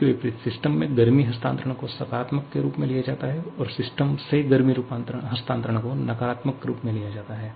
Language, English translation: Hindi, On the contrary, heat transfer to the system is taken as positive and heat transfer from the system is taken as negative